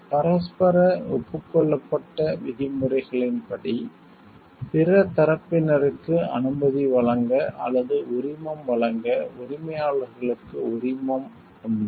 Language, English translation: Tamil, Owners have the right to give permission to offer license to other parties on mutually agreed terms